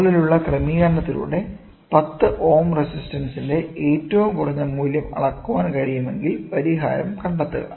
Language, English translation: Malayalam, If it is possible to measure a minimum value of 10 ohm resistance with the above arrangement, find the resolution